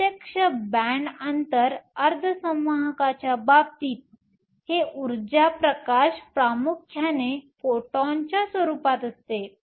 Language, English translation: Marathi, In the case of direct band gap semiconductors this energy release is dominantly in the form of photons